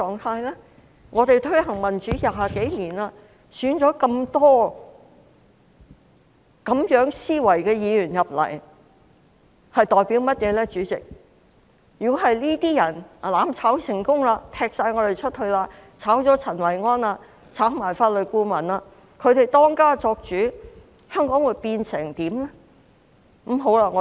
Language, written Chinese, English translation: Cantonese, 香港推行民主20多年，那麼多有這種思維的議員當選，如果他們"攬炒"成功，把我們踢出去，辭退陳維安和法律顧問，由他們當家作主，香港會變成怎樣呢？, Democracy has been promoted in Hong Kong for more than 20 years and so many Members with this mindset have been elected . If they succeed in effecting mutual destruction kicking us out dismissing Kenneth CHAN and the Legal Adviser to become the masters what will happen to Hong Kong?